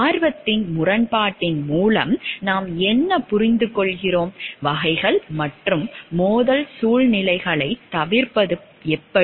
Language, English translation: Tamil, What we understand by conflict of interest, types and how to avoid the situations of conflict